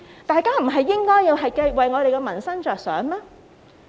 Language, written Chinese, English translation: Cantonese, 大家不是應該為民生着想嗎？, Shouldnt Members give thought to peoples livelihood?